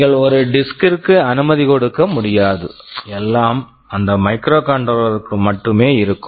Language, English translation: Tamil, You cannot afford to have a disk, everything will be inside that microcontroller itself